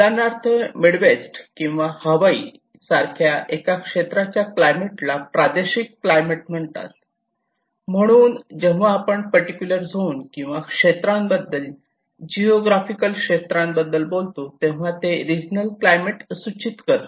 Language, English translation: Marathi, For instance, the climate in the one area like the Midwest or Hawaii is called a regional climate so, when we talk about a particular zone or a particular area, geographical region, it is refers to the regional climate